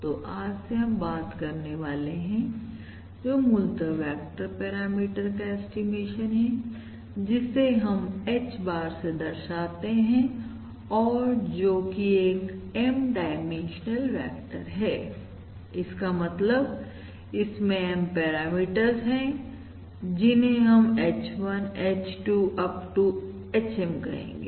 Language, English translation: Hindi, So what we are going to start talking about from today is basically the estimation of a vector parameter, which we are going to denote by H bar, and this is an M dimensional vector, which means it contains M parameters which we are denoting by H1, H2… up to HM